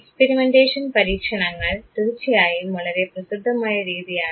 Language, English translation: Malayalam, Experimentation of course is the most popular method